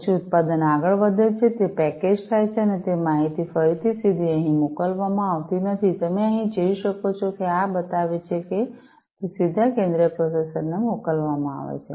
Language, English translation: Gujarati, Then the product moves on further, it is packaged and that information again is sent directly not over here, as you can see over here, this is showing that it is sent directly to the central processor